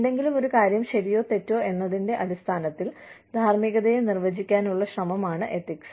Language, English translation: Malayalam, Ethics is an attempt to, define morality, in terms of, why something is right or wrong